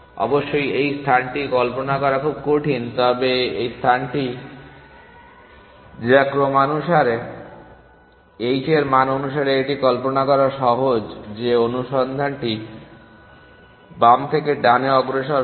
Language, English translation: Bengali, So, of course it is very difficult to visualize in this space, but in this space which is on ordered h value it is easy to visualize that the search will progress from left to right